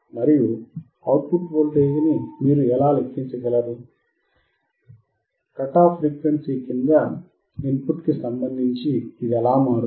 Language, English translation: Telugu, And that is how you can calculate the output voltage, how it will change with respect to input below the cut off frequency